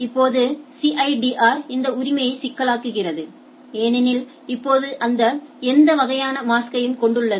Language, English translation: Tamil, Now, CIDR complicates this right because now it has any type of mask right